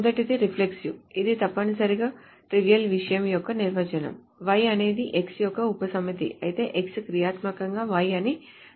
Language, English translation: Telugu, It essentially says that the definition of the trivial thing, if y is a subset of x, then x functionally determines y